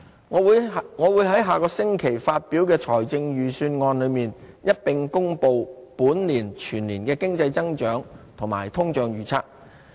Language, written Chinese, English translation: Cantonese, 我會在下個星期發表的財政預算案裏，一併公布本年全年的經濟增長和通脹預測。, I will announce the economic growth and inflation forecasts for the whole year when I publish the Budget next week